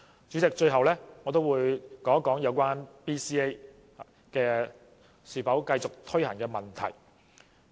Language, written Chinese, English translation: Cantonese, 主席，最後我想說說有關 BCA 應否繼續推行的問題。, Lastly President I would like to say a few words about whether Basic Competency Assessments BCA should continue to be implemented